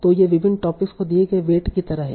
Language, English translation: Hindi, So these are like the weights given to different topics